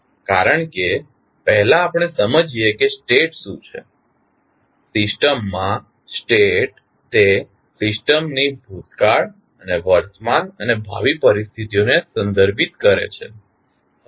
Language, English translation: Gujarati, Because, first let us understand what is the state, state of a system refers to the past and present and future conditions of the system